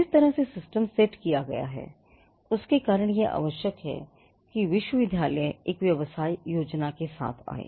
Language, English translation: Hindi, Now, because of the way in which the system is set it is necessary that the university comes up with a business plan